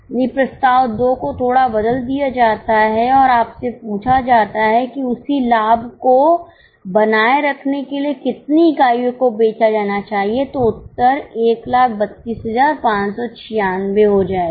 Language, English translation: Hindi, The proposal 2 is slightly tweaked and you are asked that to maintain the same profit, how many units should be sold